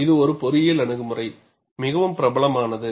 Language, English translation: Tamil, It is an engineering approach; very popular